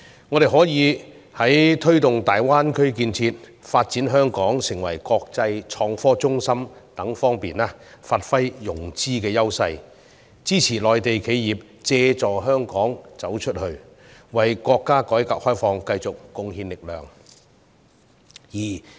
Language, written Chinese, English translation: Cantonese, 我們可以在推動大灣區建設及發展香港成為國際創新科技中心等方面發揮融資優勢，支持內地企業借助香港"走出去"，為國家改革開放繼續貢獻力量。, We may bring into play our edge in financing to promote the building up of the Guangdong - Hong Kong - Macao Greater Bay and the development of Hong Kong into an international innovation and technology centre and assist Mainlands enterprises to go global through Hong Kong so that they can contribute to the reform and opening up of our country